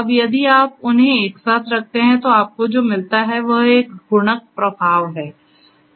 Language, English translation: Hindi, Now, if you put them together, what you get is a multiplicative effect